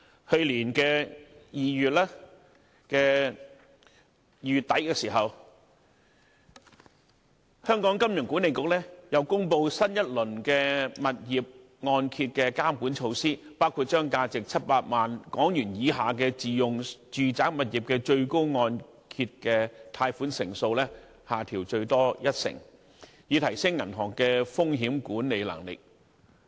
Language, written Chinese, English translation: Cantonese, 去年2月底，香港金融管理局又公布新一輪物業按揭監管措施，包括把價值700萬港元以下的自用住宅物業的最高按揭貸款成數，下調最多一成，以提升銀行的風險管理能力。, In late February last year the Hong Kong Monetary Authority announced a new round of supervisory measures on property mortgages including lowering the maximum loan - to - value ratio for self - use residential properties with value below HK7 million by a maximum of 10 percentage points so as to enhance the risk management ability of banks